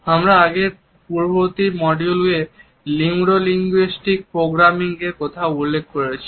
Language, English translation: Bengali, In the previous module we had referred to Neuro linguistic Programming